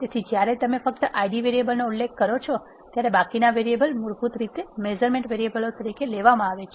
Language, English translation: Gujarati, So, when you specify only Id variables, the rest of the variables are defaultly taken as the measurement variables